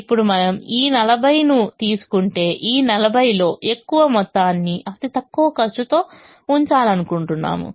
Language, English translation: Telugu, now if we take this forty we just now said that we would like to put as much of this forty in the least cost position